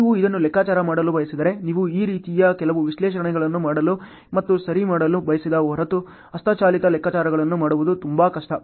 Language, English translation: Kannada, If you want to calculate this, then it is very difficult to do manual calculations unless you want to do some analysis like this and do ok